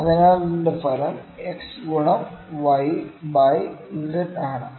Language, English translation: Malayalam, So, the resultant if it is x into y by z